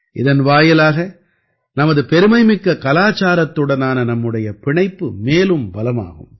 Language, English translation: Tamil, This will further strengthen the connection of us Indians with our glorious culture